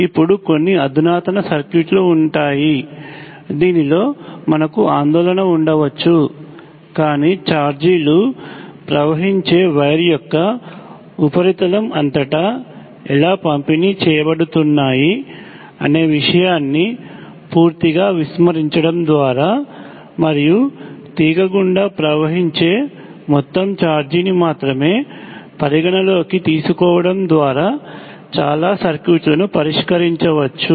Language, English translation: Telugu, Now there will be some advance circuits in which this may we have concern, but most of the circuits can be dealt with by completely ignoring how the charges are distributed across the surface of the wire through which the charges are flowing and considering only the total charge flowing through the wire